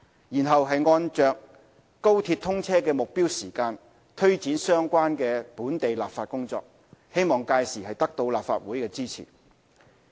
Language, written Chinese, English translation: Cantonese, 然後，按着高鐵通車的目標時間，推展相關的本地立法工作，希望屆時得到立法會的支持。, We will then proceed with the local legislative work in accordance with our target date for commissioning of the XRL